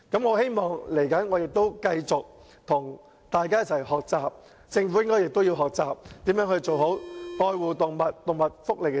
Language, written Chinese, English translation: Cantonese, 我希望未來能繼續與大家一起學習，而政府亦應學習如何做好有關愛護動物和動物福利的政策。, I hope that in future I can continue to learn with Members . The Government should also learn how to come up with good policies on animal care and animal welfare